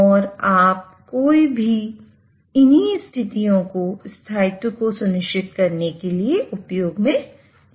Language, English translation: Hindi, And you can use any of these conditions to ensure stability